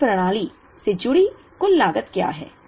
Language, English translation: Hindi, Now, what is the total cost associated with this system